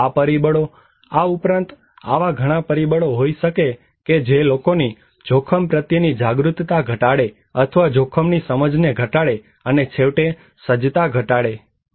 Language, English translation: Gujarati, So these factors, there could be many other factors that actually reduce people's risk awareness or low risk perception, and eventually, reduce the preparedness